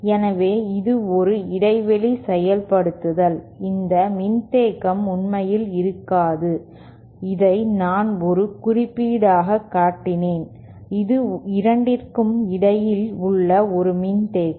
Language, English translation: Tamil, So, this is a gap implementation, this capacitance does not actually exist, this is just I have shown as a symbol, this is a capacitance between the 2